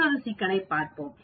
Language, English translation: Tamil, Let us look at another problem